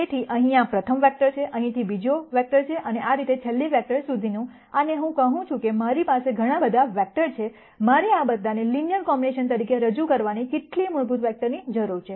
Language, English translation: Gujarati, So, this is a first vector here, from here second vector and so on all the way up to the last vector and I say I have so many vectors, how many fundamental vectors do I need to represent all of these as linear combinations